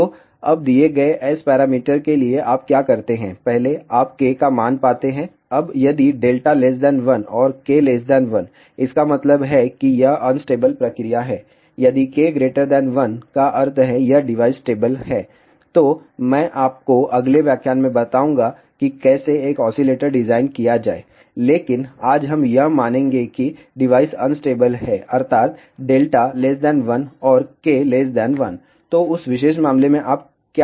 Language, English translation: Hindi, Now, if delta is less than 1 and K is less than 1; that means, it is unstable proceed, if K is greater than 1 that means, this device is stable for that I will tell you in the next lecture how to design an oscillator, but today we will assume that the device is unstable that means, delta is less than 1 and K is less than 1